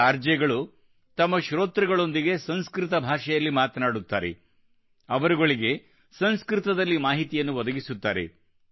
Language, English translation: Kannada, These RJs talk to their listeners in Sanskrit language, providing them with information in Sanskrit